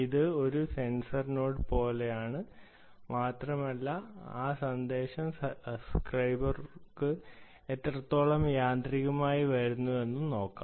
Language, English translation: Malayalam, you can imagine this to be like a sensor node and let us see how automatically that message comes to the subscriber